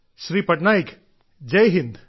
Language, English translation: Malayalam, Patnaik ji, Jai Hind